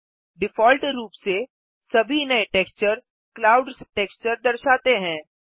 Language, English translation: Hindi, By default, every new texture displays the clouds texture